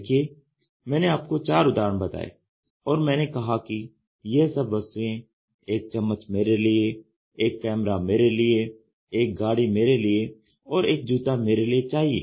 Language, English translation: Hindi, See I have brought four examples in front of you and I said all these things a spoon for me; a camera for me; a car for me; a shoe for me